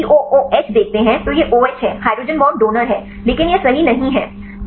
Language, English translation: Hindi, Here if you see the COOH it is OH is hydrogen bond donor, but this is not right